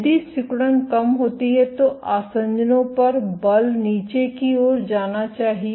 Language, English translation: Hindi, If the contractility goes down then the force at adhesions is supposed to go down